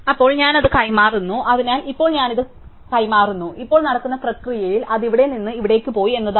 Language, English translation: Malayalam, So, then I exchange that, so now I exchange this, now in the process what is happened is that well was gone from here to here